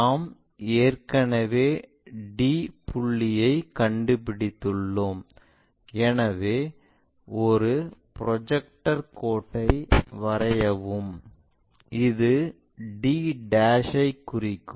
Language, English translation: Tamil, We have already located d point, so draw a projector line which cuts that to indicates d'